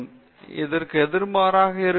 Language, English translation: Tamil, It will be opposite of this